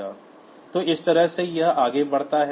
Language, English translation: Hindi, So, this way it goes on